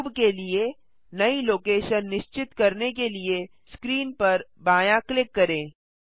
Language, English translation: Hindi, Left click on screen to confirm a new location for the cube